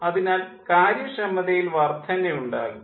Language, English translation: Malayalam, so efficiency will increase